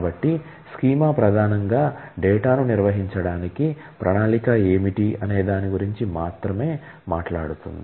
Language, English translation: Telugu, So, the schema primarily talks about what is the plan to organize the data